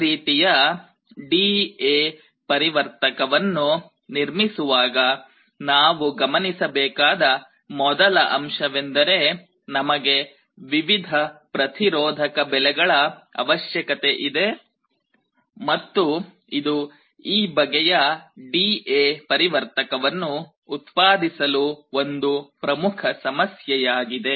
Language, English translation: Kannada, The first thing is that to construct this kind of a D/A converter, we need n different resistance values, and this is one of the main problems in manufacturing this kind of D/A converter